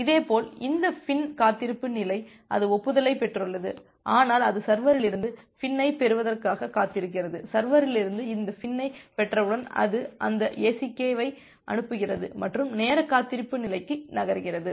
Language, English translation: Tamil, Similarly this FIN wait state it has received the acknowledgement, but it was waiting for getting the FIN from the server, once it get this FIN from the server it sends that ACK and moves to the time wait state